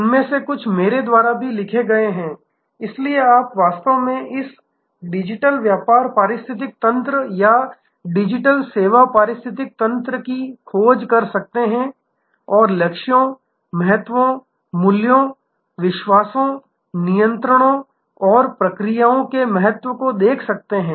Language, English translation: Hindi, Some of them are also written by me, so you can actually search for this digital business ecosystem or digital service ecosystem and see the importance of goals, importance of values, beliefs, controls and procedures